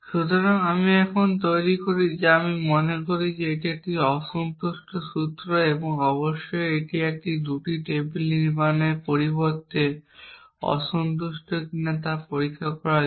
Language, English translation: Bengali, So, I produce now what I think is a unsatisfiable formula and of course, to check whether it is unsatisfiable instead of constructing a 2 table